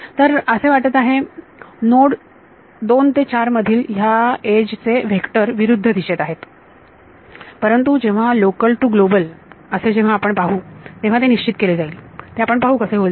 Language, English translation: Marathi, So, it seems that this edge between node 2 and 4 has the vectors in the opposite direction, but that can be fixed by taking care of this local to global we will see how would happen